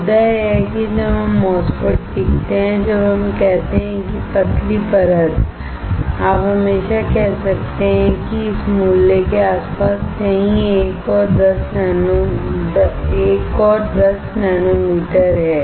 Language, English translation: Hindi, The point is when we learn MOSFET, when we say thin layer you can always say is between 1 and 10 nanometers somewhere around this value